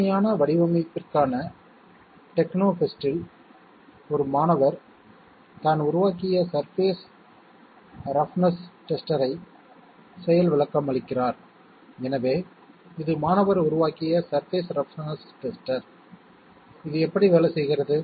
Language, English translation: Tamil, In a techno fest for innovative design, a student demonstrates a surface roughness tester he has developed, so this is the surface roughness tester the student has developed, how does it work